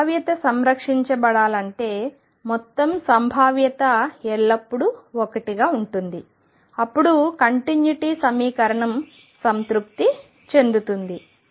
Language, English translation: Telugu, And if the probability is to be conserved which should be because total probability always remains 1, then the continuity equation will be satisfied